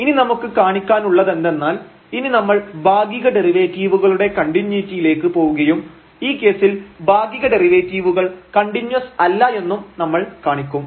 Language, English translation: Malayalam, So, what is now to show, that we will go to the continuity of the partial derivatives and we will observe that the partial derivatives are not continuous in this case